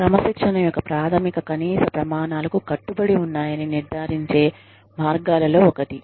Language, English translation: Telugu, So, one of the ways in ensuring, that the basic minimum standards of discipline, are adhered to